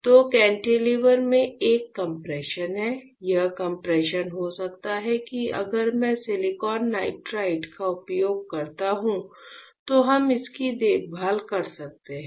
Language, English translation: Hindi, So, there is a compression in the cantilever this compression can be that we can care of if I use silicon nitride